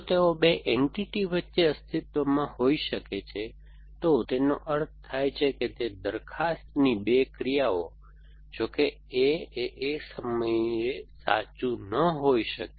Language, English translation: Gujarati, If they might exists between two entities, either two actions of the propositions it means at, though A cannot be true at the same time